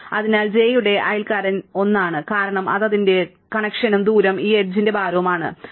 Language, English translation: Malayalam, So, the neighbour of j is 1 because that is its connection and the distance is the weight of this edge, right